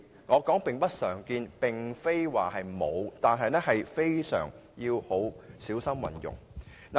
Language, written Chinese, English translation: Cantonese, 我是說並不常見，不是說沒有，而且是要極小心運用。, What I mean is they are rarely seen but not absent . Moreover they are used in a very cautious manner